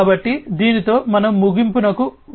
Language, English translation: Telugu, So, with this we will come to an end